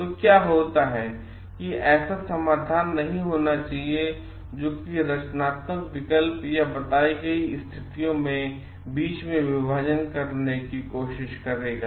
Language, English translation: Hindi, So, what happens like there should not be solutions which will try to make a divide between the creative options or the like stated positions